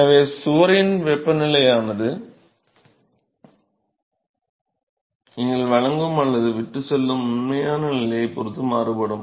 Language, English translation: Tamil, So, the temperature of the wall is the one which is going be vary with the actual position right you are supplying or leaving